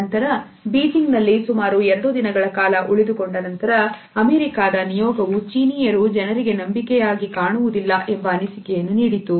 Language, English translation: Kannada, However, after about two days of a spending in Beijing, American delegation give the feedback that they do not find the Chinese to be trust for the people